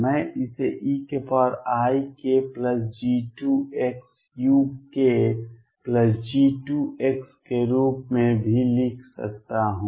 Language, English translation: Hindi, I could also write this as e raise to i k plus G 2 x u k plus G 2 x